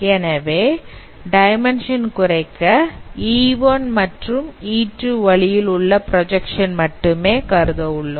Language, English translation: Tamil, So we can perform the dimension reduction by considering projections along E1 and E2 only